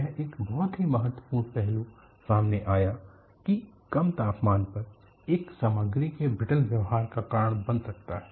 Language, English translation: Hindi, It brought out a very important aspect that low temperature can cause a material to behave in a brittle fashion